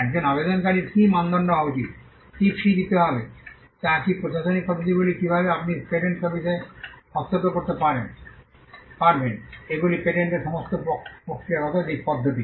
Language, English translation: Bengali, Now, who can file a patent, what should be the criteria for an applicant, what should be the fees that should be paid, what are the administrative methods by which you can intervene in the patent office, these are all procedural aspects of the patent system